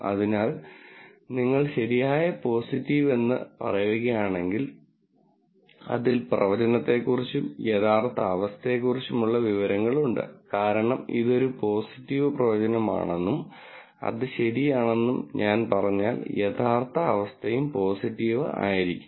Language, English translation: Malayalam, So, if you say true positive, it has both information about the prediction and the actual condition also the true condition, because if I say it is positive prediction and that is true then the actual condition should have also been positive